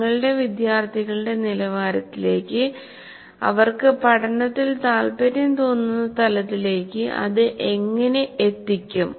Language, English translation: Malayalam, How do you make it, bring it down at a level to the level of your students where they feel comfortable in learning